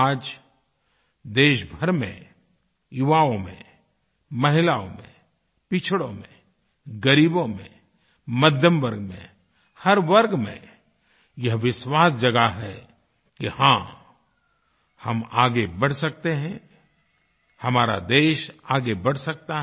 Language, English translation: Hindi, Today, the entire country, the youth, women, the marginalized, the underprivileged, the middle class, in fact every section has awakened to a new confidence … YES, we can go forward, the country can take great strides